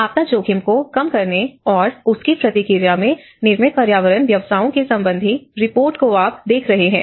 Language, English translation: Hindi, Today, we are going to talk about the built environment professions and disaster risk reduction and response